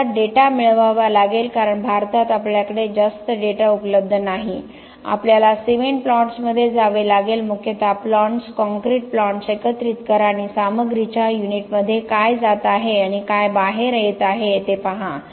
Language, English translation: Marathi, We have to get data because in India we do not have a lot of data available we have to go to the plants cement plants mainly aggregate plants, concrete plants and see what is that which is going into unit of the material and what is coming out